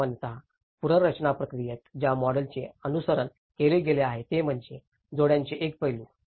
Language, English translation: Marathi, So, the model which generally which has been followed in the reconstruction processes is one is an aspect of addition